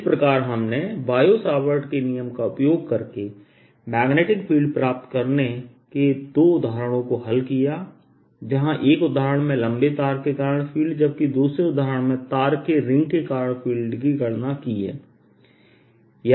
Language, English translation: Hindi, so we have to solve two examples of getting magnetic field using bio savart's law, where we calculate: one, the field due to a long wire and two, the field due to a ring of wire